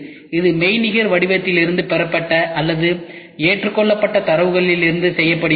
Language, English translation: Tamil, This is done from the data what is received or accepted from the virtual form